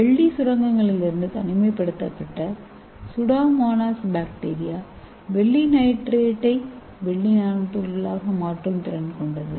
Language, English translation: Tamil, the pseudomonas bacteria, they isolated from silver mines, so it has the capacity to convert the silver nitrate into silver nanoparticles